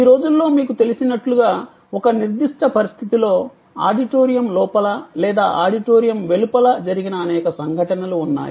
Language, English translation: Telugu, These days as you know, there are many instances of things that have happened inside an auditorium or influence outside the auditorium a certain situation